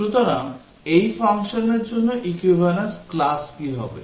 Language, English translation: Bengali, So what will be the equivalence classes for this function